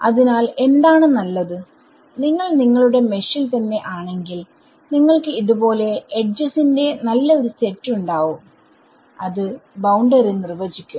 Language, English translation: Malayalam, So, what would be better is that if you in your mesh itself you had a nice set of edges like this which define a boundary ok